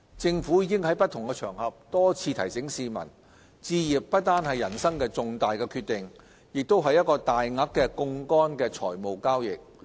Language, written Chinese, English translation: Cantonese, 政府已經於不同場合多次提醒市民，置業不單是人生的重大決定，亦是一個大額的槓桿財務交易。, The Government has reminded the public repeatedly on different occasions that buying a property is not only one of the most important decisions in life it is also a financial transaction entailing significant leverage through borrowing